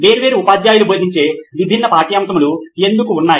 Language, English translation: Telugu, Why are there different subjects taught by different teachers